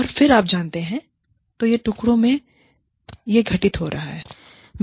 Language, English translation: Hindi, And then, you know, so it is happening in pieces